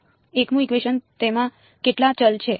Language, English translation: Gujarati, The 1st equation how many variables are in it